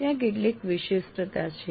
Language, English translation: Gujarati, So there is some specificity